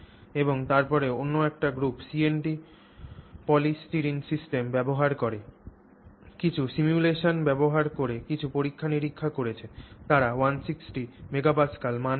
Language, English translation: Bengali, And then yet another group has done some experiments using a CNT polystyrene system using some simulation, simulation kind of work has been done, they are getting a value of 160 MPA